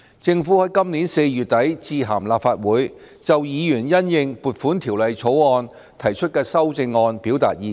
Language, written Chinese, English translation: Cantonese, 政府在今年4月底致函立法會，就議員因應《條例草案》提出的修正案表達意見。, At the end of April this year the Government wrote to the Legislative Council to express its views on Members amendments moved to the Bill